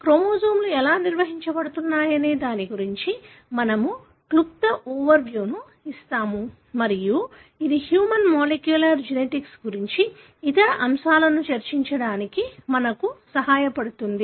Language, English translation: Telugu, We will give a brief overview as to how the chromosomes are organized and that would help us to discuss other elements in reference to human molecular genetics